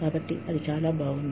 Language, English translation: Telugu, So, that is very nice